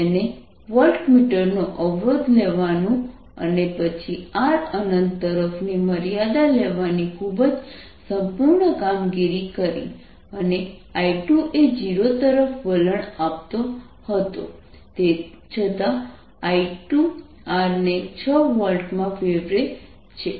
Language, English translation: Gujarati, he did a very thorough job of taking resistance of the voltmeter and then taking the limit that r was tending to infinity and i two was tending to zero